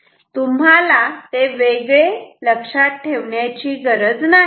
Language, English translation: Marathi, You do not have to remember it separately